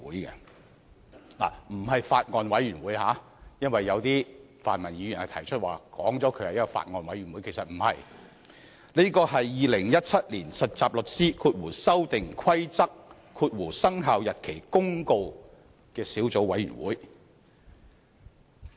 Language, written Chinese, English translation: Cantonese, 請注意，並非法案委員會，剛才有些泛民議員表示立法會成立了法案委員會，其實不然，是《〈2017年實習律師規則〉公告》小組委員會。, Please note that the committee so formed was not a Bills Committee . Some pan - democratic Members said that the Legislative Council had formed a Bills Committee . They were wrong